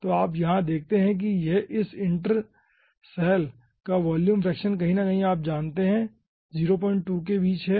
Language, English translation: Hindi, so you see, over here, the volume fraction of this center cell is somewhat, is somewhere in between